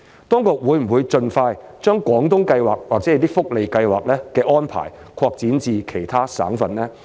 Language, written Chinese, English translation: Cantonese, 當局會否盡快將廣東計劃或者一些福利計劃的安排，擴展至其他省份呢？, Will the Guangdong Scheme or some other welfare schemes be extended to other provinces as soon as possible?